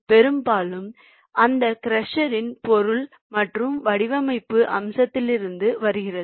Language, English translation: Tamil, mostly coming from the material and the design aspect of that crusher